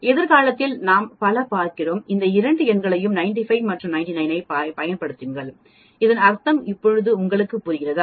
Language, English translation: Tamil, Many in the future we are going to use these 2 numbers 95 and 99 and now you understand what it mean